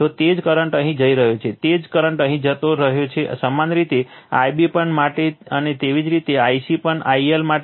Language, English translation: Gujarati, So, same current is going here, same current is going here, similarly for the similarly for I b also and similarly for I c also I L also